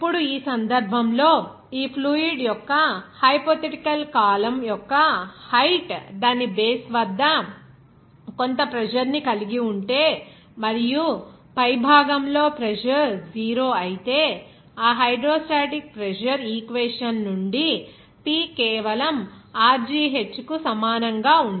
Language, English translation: Telugu, Now, in this case the height of a hypothetical column of this fluid if it exert certain pressure at its base and if the pressure at the top will be 0, then from that hydrostatic pressure equation you can say that it will be simply P is equal to Rho gh